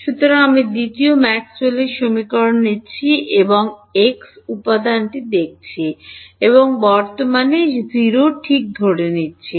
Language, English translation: Bengali, So, I am taking the second Maxwell’s equation and looking at the x component and assuming current 0 ok